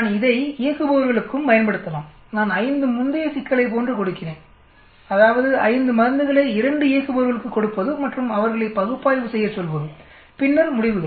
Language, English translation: Tamil, I can use it for operators also, suppose I am giving 5 previous problem like I give 5 drugs to 2 operators and ask them to analyze and then the results